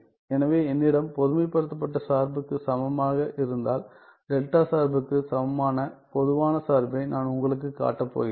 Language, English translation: Tamil, So, if I have generalized function equivalent, I am going to show you the generalized function equivalent of delta function right